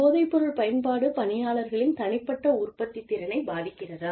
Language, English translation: Tamil, Whether it is, whether this drug use, is affecting the employee's own productivity